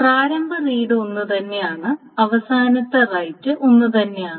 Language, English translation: Malayalam, So the initial reads are same and the final rights are same